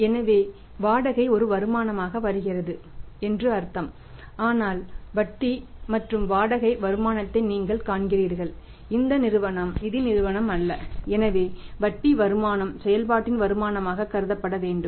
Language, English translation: Tamil, So, it means that rent is coming as a income but you see interest income rent income this firm is the manufacturing concern this firm is not finance company so the so that the interest income should be considered as a income from operation